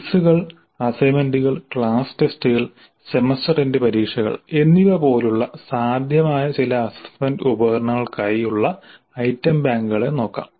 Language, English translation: Malayalam, Now let us look at the item banks for some of the possible assessment instruments like quizzes, assignments, class tests and semester and examinations